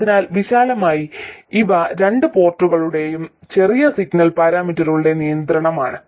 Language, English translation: Malayalam, So, broadly these are the constraint on the large signal characteristics of the 2 port